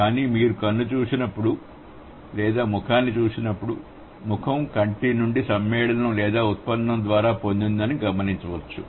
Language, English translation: Telugu, But when you look at I or when you look at face, face may be derived by compounding or derivation from I